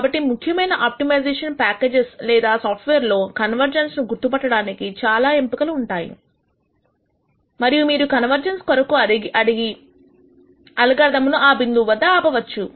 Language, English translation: Telugu, So, in typical optimization packages or software there are these various options that you can use to ask for convergence to be detected and the algorithm to stop at that point